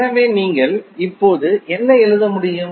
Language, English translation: Tamil, So, what you can write now